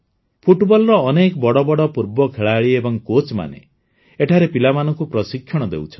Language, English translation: Odia, Today, many noted former football players and coaches are imparting training to the youth here